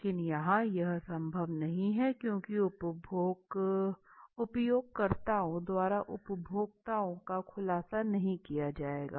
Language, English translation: Hindi, But here that is not possible no data would be you know revealed by the users the consumers